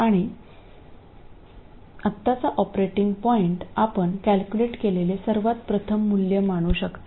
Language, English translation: Marathi, And operating point for now you can consider it as the very first value that you calculate